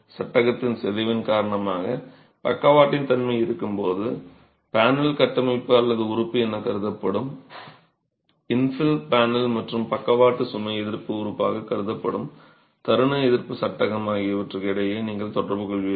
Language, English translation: Tamil, When there is lateral action due to deformation of the frame you will have interaction between the panel, the infill panel which is conceived as a non structural element and the moment resisting frame which is conceived as the lateral load assisting element